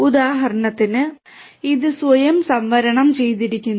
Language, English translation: Malayalam, For example, this reserved itself